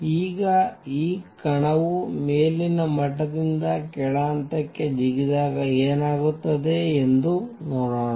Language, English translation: Kannada, Now, let us see what happens when this particle makes a jump from an upper level to a lower level